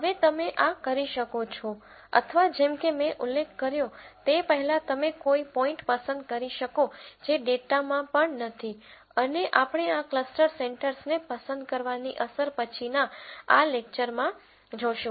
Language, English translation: Gujarati, Now, you could do this or like I mentioned before you could pick a point which is not there in the data also and we will see the impact of choosing this cluster centres later in this lecture